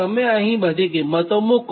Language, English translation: Gujarati, but you substitute all these values